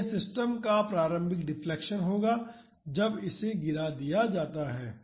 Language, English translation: Hindi, So, that would be the initial displacement of this system when this gets dropped